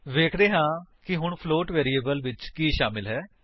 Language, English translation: Punjabi, Let us see what the float variable now contains